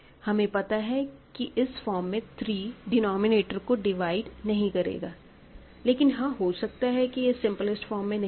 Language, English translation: Hindi, Now, I know that in this form 3 does not divide the denominator, but of course, it is possible that it is not in its simplest form